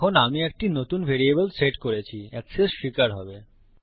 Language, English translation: Bengali, Now Ive set a new variable, access to be allowed